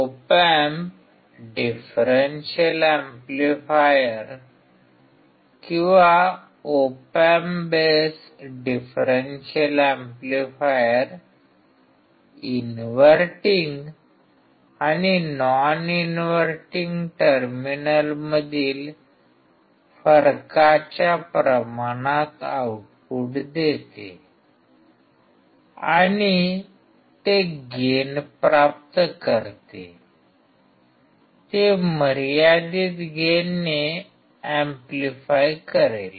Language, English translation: Marathi, An op amp differential amplifier or op amp base differential amplifier gives an output proportional to the difference between the inverting and non inverting terminal and it will gain, it will amplify with a finite gain